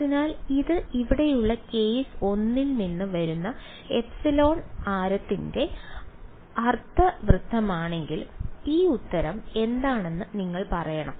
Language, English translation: Malayalam, So, if this is a semicircle of radius epsilon coming from case 1 over here, what should what will you say this answer is